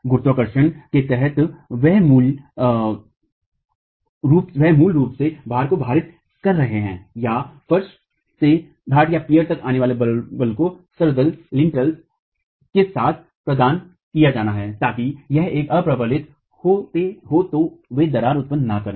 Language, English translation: Hindi, Under gravity they are basically distributing the load, the loads or the forces coming from the floor to the peers and have to be provided with lintels so that if it is unreinforced they don't crack